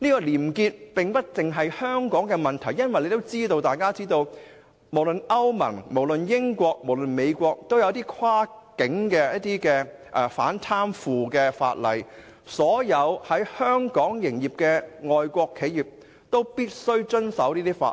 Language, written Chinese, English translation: Cantonese, 廉潔不獨是香港的關注，因為大家都知道，歐盟、英國及美國都訂有跨境的反貪腐法例，所有在香港營業的外國企業都必須遵守該等法例。, Probity is not merely a matter of concern in Hong Kong because as we all know the European Union United Kingdom and United States have formulated cross - boundary anti - corruption laws to be complied with by all foreign enterprises doing business in Hong Kong